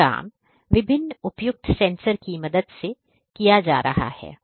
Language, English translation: Hindi, These are being done with the help of different appropriate sensors